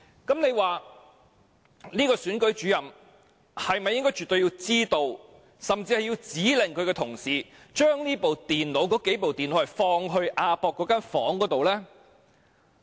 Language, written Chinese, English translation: Cantonese, 這位首席選舉事務主任是否絕對應該知道，甚至指令他的同事將那數部電腦放置在亞博館的房間之內。, This Principal Electoral Officer definitely knew or had ordered staff to place those computers in the room at AsiaWorld - Expo